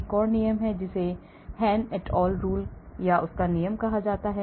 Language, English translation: Hindi, there is another rule that is called Hann et al rule